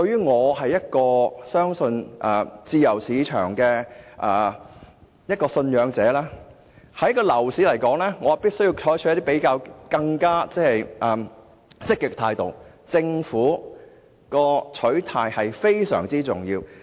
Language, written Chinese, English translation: Cantonese, 我信奉自由市場，所以我認為要解決樓市問題，便必須有更積極的態度，即政府的取態至關重要。, I am a believer of the free market . That is why I consider that the problem of the property market can only be resolved by a more proactive approach . In other words the Governments role is critical